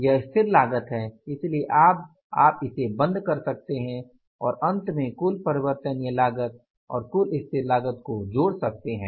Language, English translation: Hindi, So, you can close it and finally summing up the total variable cost and total fixed cost